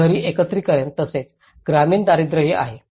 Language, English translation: Marathi, There is an urban agglomeration as well as the rural poverty